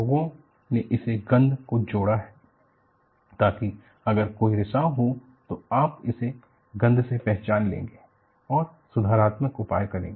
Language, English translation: Hindi, People have added that smell, so that, if there is a leak, you would respond to it by smell and go on to take corrective measures